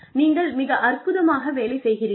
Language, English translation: Tamil, You are doing a fabulous job